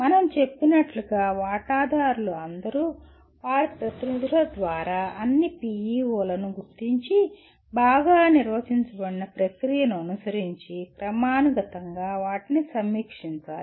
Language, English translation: Telugu, As we said all stakeholders through their representatives should identify the PEOs and review them periodically following a well defined process